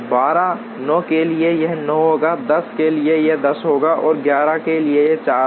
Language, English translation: Hindi, For 8 it will be 12; for 9 it will be 9; for 10 it will be 10 and for 11 it will be 4